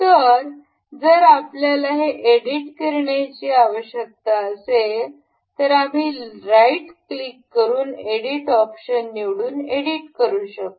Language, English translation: Marathi, So, in case we need to edit it we can select right click and this first option edit feature we can edit here